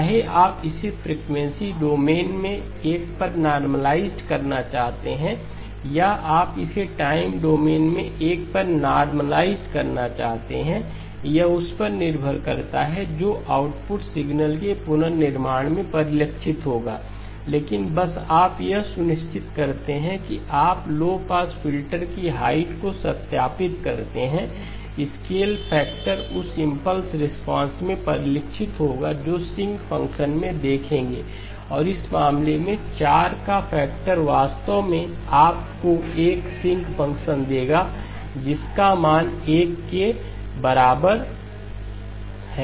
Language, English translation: Hindi, Whether you want to normalize it to 1 in the frequency domain or you want to normalize it to 1 in the time domain depends on that, that will be reflected in the reconstructed in the output signal okay but just you make sure you verify that the height of the low pass filter, the scale factor will get reflected in the impulse response that you will see in the sinc function and the factor of 4 in this case will actually give you a sinc function which has value equal to 1